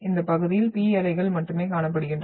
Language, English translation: Tamil, Only the P waves are been seen in this area